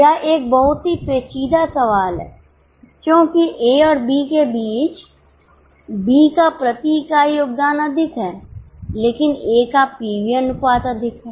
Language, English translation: Hindi, This is a very tricky question because between A and B has more contribution per unit but A has more PV ratio